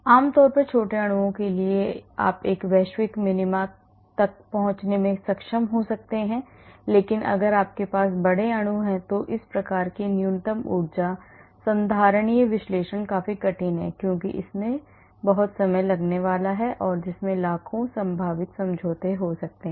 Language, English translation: Hindi, generally for small molecules You may be able to reach a global minima but if you have big molecules this type of minimum energy conformation analysis is quite difficult, because it is going to be very time consuming there could be millions of possible conformations